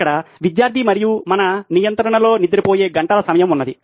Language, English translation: Telugu, Here is the student and what we have in our control is the hour of going to sleep